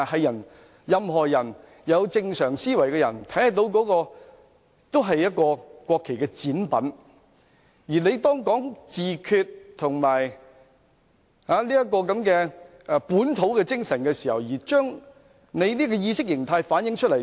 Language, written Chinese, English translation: Cantonese, 任何有正常思維的人也可以看出那是國旗的展品，而當他在提出自決和本土精神的同時把國旗倒轉，便將這種意識形態反映出來。, Anyone with a normal frame of mind can recognize that they are mock - ups of the national flags . And when he inverted the national flags while proposing self - determination and the localist spirit such an ideology was reflected